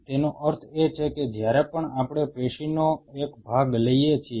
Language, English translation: Gujarati, That means so, whenever we take out a chunk of a tissue